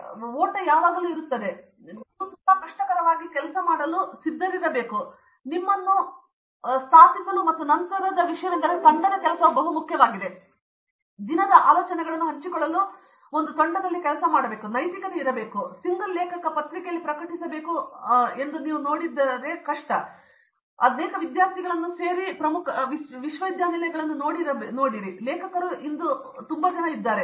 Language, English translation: Kannada, So, that race is there always and you to be prepared to be work very hard and to establish yourself and then the next thing is team work is also very, very important that is that should from day one, work in a team to share ideas and be ethical about it because today if you look at many of the major universities across single author paper or student and that author is all gone today